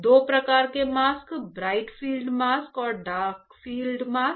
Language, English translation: Hindi, Masks two types; bright field mask and dark field mask; bright field mask and dark field mask